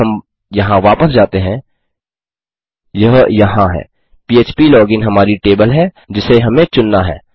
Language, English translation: Hindi, If we go back to here, this is it php login is our table that we have selected